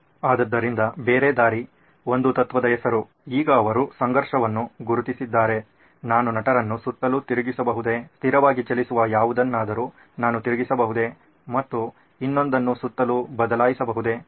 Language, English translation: Kannada, So other way round is a principle name of a principle, now that they have identified the conflict, can I flip the actors around, can I flip whatever is moving stationary and can I change the other one around